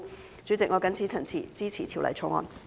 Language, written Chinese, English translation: Cantonese, 代理主席，我謹此陳辭，支持《條例草案》。, Deputy President with these remarks I support the Bill